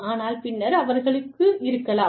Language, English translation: Tamil, But then, they may